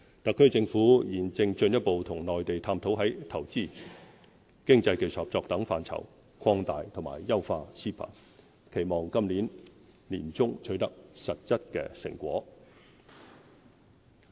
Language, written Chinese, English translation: Cantonese, 特區政府現正進一步與內地探討在投資、經濟技術合作等範疇，擴大和優化 CEPA， 期望今年年中取得實質成果。, The Hong Kong Special Administrative Region HKSAR Government is exploring further with the Mainland the expansion and enhancement of CEPA in the areas of investment economic and technical cooperation etc . We expect to achieve some concrete results by the middle of this year